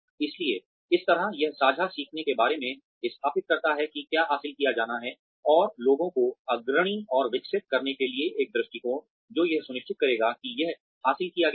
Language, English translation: Hindi, So, as such, it establishes shared learning about, what is to be achieved, and an approach to leading and developing people, which will ensure that, it is achieved